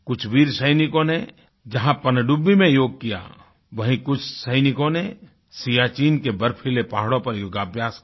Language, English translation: Hindi, A section of our brave soldiers did yoga in submarines; some of them chose the snow clad mountainous terrain of Siachen for the same